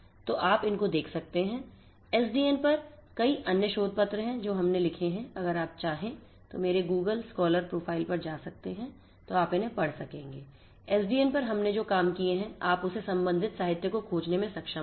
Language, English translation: Hindi, So, you could go through these there are many other papers on SDN that we have authored in case you are interested you are encouraged to go through my Google scholar profile you will be able to go through the you will be able to find the corresponding literature the works that we have done on SDN